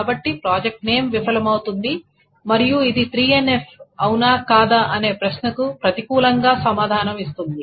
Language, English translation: Telugu, So project name, this fails and the entire question of whether this is 3NF or not is answered in the negative